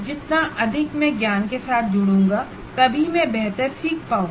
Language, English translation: Hindi, If I am the more and more engaged with the knowledge, then only I will be able to learn better